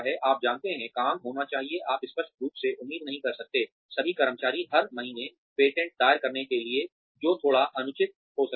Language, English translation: Hindi, You know, the work should be, you cannot obviously expect, all the employees to file patents, every month, that may be little unreasonable